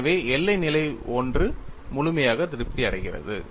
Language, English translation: Tamil, , so the boundary condition 1 is fully satisfied